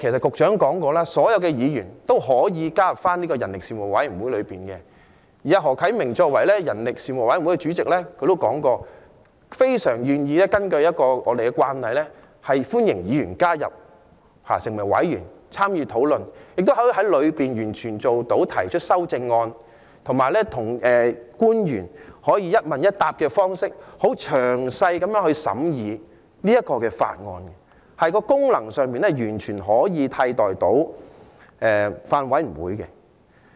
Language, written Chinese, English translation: Cantonese, 局長說過，所有議員都可以加入這個人力事務委員會，而何啟明議員作為人力事務委員會主席，他也表示，非常願意根據我們的慣例，歡迎議員加入成為委員參與討論，亦可以在事務委員會裏提出修正案，以及與官員以一問一答的方式詳細地審議這項《條例草案》，功能上完全可以替代法案委員會。, As mentioned by the Secretary any Member can join this Panel on Manpower . Mr HO Kai - ming as Chairman of the Panel on Manpower also says that he is willing to follow our convention of welcoming all Members to join the Panel so as to participate in the discussion propose amendments in the Panel and scrutinize the Bill in detail by way of discussion with government officials with questions and answers . Functionally speaking this can replace a Bills Committee